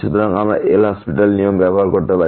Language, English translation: Bengali, So, we can use the L’Hospital rule